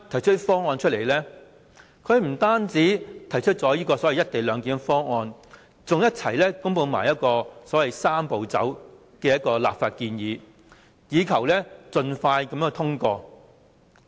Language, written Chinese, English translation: Cantonese, 政府不單提出這個所謂"一地兩檢"方案，更同時公布所謂"三步走"的立法建議，以求盡快通過。, Not only did the Government put forward this co - location arrangement it also announced the Three - step Process a legislative proposal which sought a swift passage